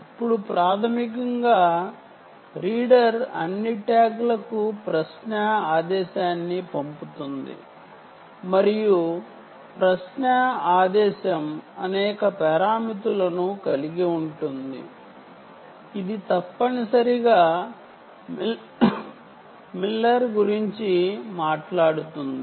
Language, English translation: Telugu, now, basically, the reader sends out a query command, ah, to all the tags and the query command contains several parameters: ah, which essentially talks about the miller encoding parameter, whether it should do miller encoding